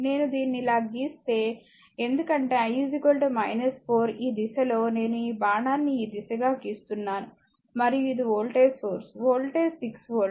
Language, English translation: Telugu, If I draw it like this the, because I is equal to minus 4, in this direction so, I making this arrow this direction and this is your voltage source, voltage is 6 volt